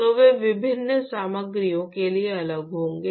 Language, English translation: Hindi, So, they will be different for different materials